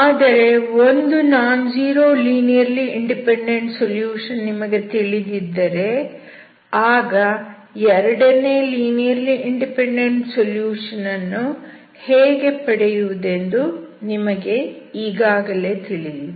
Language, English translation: Kannada, But you already know how to get your second linearly independent solution having known one nonzero linearly independent solution